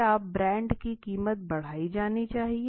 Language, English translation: Hindi, So the price of the brand be increased